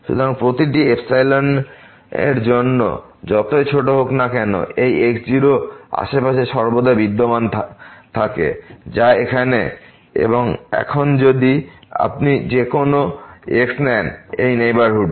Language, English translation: Bengali, So, for every epsilon, however small, there always exist in neighborhood of this naught which is the case here and now, if you take any in this neighborhood